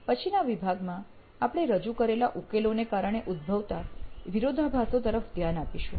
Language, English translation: Gujarati, So in the next segment we will actually be looking at conflicts arising because of solutions that you have introduced